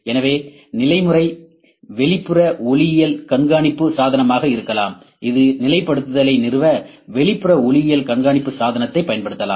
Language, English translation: Tamil, So, position method can be external optical tracking device, this can use an external optical tracking device to establish positioning